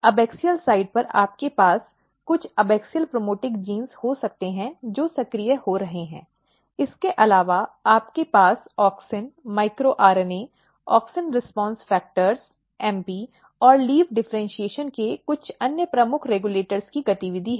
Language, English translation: Hindi, On the abaxial side you can have some of the abaxial promoting genes, which are getting active; apart from that you have the activity of auxin, micro RNA, AUXIN RESPONSE FACTORS, MP and some of the other key regulators of leaf differentiation